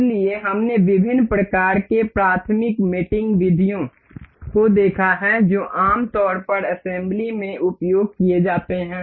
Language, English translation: Hindi, So, we have seen different kinds of elementary mating methods for that generally used in assembly